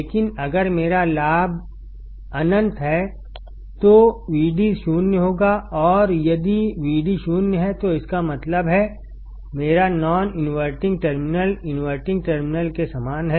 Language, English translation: Hindi, But if my gain is infinite, then Vd will be 0 and if Vd is 0, that means, my non inventing terminal is same as the inverting terminal